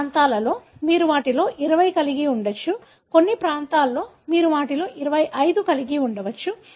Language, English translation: Telugu, At certain regions, you could have 20 of them; at certain regions you could have 25 of them and so on